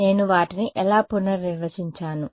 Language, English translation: Telugu, How did I redefine those